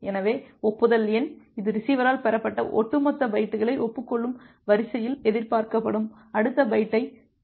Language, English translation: Tamil, So, the acknowledgement number, it contains the next expected byte in order which acknowledges the cumulative bytes that been received by the receiver